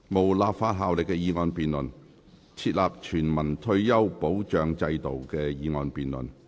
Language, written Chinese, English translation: Cantonese, 無立法效力的議案辯論。"設立全民退休保障制度"的議案辯論。, The motion debate on Establishing a universal retirement protection system